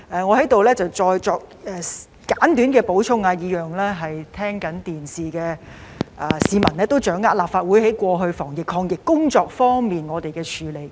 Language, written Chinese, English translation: Cantonese, 我在此再作簡短補充，讓正在收看直播的市民得以掌握立法會過去的防疫抗疫工作。, I would like to add a few more words here so that members of the public watching the live broadcast can understand the anti - epidemic efforts made by the Legislative Council in the past